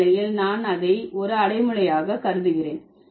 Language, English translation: Tamil, In this situation, I consider it as an adjective